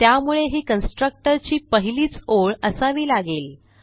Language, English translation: Marathi, So we must make it the first line of the constructor